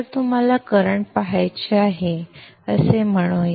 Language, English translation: Marathi, So let's say you want to see the current